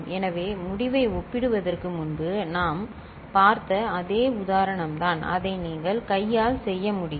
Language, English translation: Tamil, So, his is the same example we had seen before you can compare the result and you can you perform it by hand also